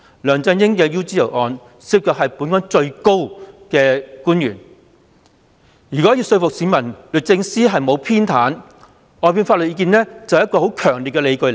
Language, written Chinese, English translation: Cantonese, 梁振英的 UGL 案件涉及本港最高層的官員，如要說服市民律政司沒有偏袒，外判法律意見便是很強烈的理據。, The UGL case involving LEUNG Chun - ying is one concerning the top official of Hong Kong . The legal advice offered by outside counsel is a strong ground which can convince people that DoJ is not biased in his favour